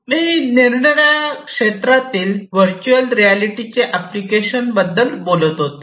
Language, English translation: Marathi, So, I was telling you about the different applications of virtual reality earlier